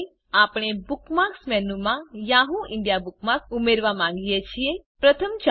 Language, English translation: Gujarati, Lets say we want to add the Yahoo India bookmark to the Bookmarks menu